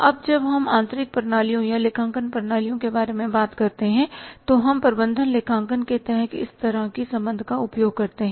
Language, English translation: Hindi, Now when you talk about the internal systems or the accounting systems we use this kind of the relationship under the management accounting